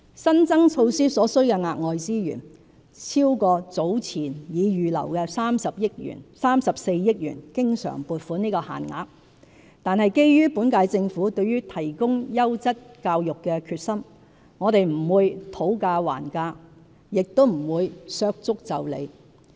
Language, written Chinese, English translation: Cantonese, 新增措施所需的額外資源超過早前已預留的34億元經常款項的限額，但基於本屆政府對提供優質教育的決心，我們不會"討價還價"，也不會"削足就履"。, The commitment for the new initiatives has exceeded the 3.4 billion additional recurrent provision earmarked earlier . However given the determination of the current - term Government to promote quality education we would not haggle over the resources needed nor would we trim our measures due to resource constraints